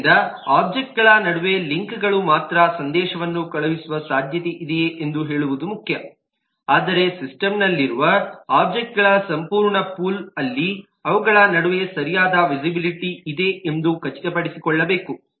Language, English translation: Kannada, so it is important that between the objects, the links alone will just say whether there is a possibility of sending a message, but will also need to make sure that in the whole pool of object that exist in a system there is proper visibility between them